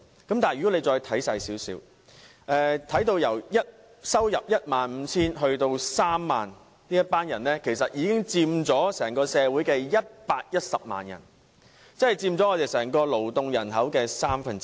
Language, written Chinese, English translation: Cantonese, 可是，如果再看仔細一點，月入介乎 15,000 元至 30,000 元的人士，其實已有110萬人，佔整個勞動人口的三分之一。, This when examined more closely shows that there were 1.1 million people whose monthly income ranged between 15,000 and 30,000 accounting for one third of the entire working population